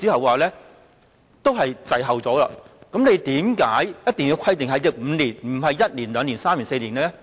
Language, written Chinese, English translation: Cantonese, 為何局方一定要規定5年，而不是1年、2年、3年或4年？, Why must the Bureau set down a five - year period instead of one year two years three years or four years?